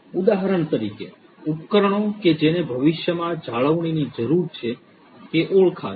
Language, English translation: Gujarati, For example, the devices that need future maintenance would be identified